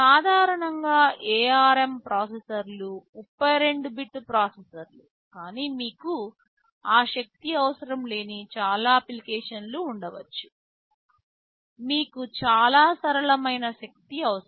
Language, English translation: Telugu, Normally ARM processors are 32 bit processors, but there may be many application where you do not need that power, you need much simpler power